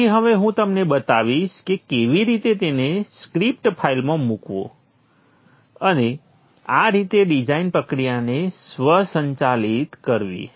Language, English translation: Gujarati, So I will now show you how to put them into a script file and thus automate the design process